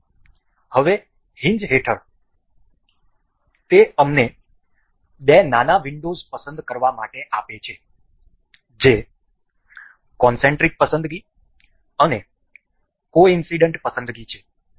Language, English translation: Gujarati, So, now under hinge it gives us to select two a small little windows that is concentric selection and coincident selections